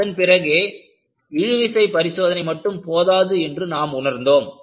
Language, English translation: Tamil, Then, you realize that tension test is not sufficient